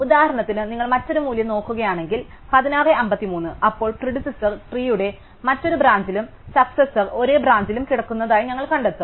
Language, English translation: Malayalam, But, if you look at a different value for example, 16:53 then we will find that the predecessor lies in a different branch of the tree and the successor lies in the same branch